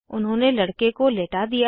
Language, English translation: Hindi, They made the boy lie down